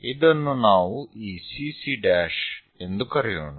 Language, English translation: Kannada, So, let us call this CC prime